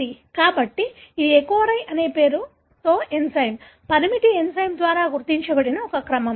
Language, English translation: Telugu, So, this is a sequence that is recognized by an enzyme, restriction enzyme with a name called EcoRI